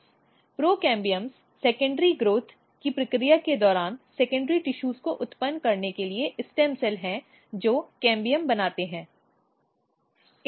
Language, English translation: Hindi, Procambiums are basically kind of stem cells for generating other these secondary tissues during the process of secondary growth which makes cambium